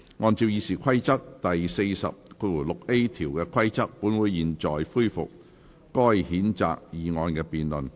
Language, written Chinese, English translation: Cantonese, 按照《議事規則》第40條的規定，本會現在恢復該譴責議案的辯論。, In accordance with Rule 406A of the Rules of Procedure this Council now resumes the debate on the censure motion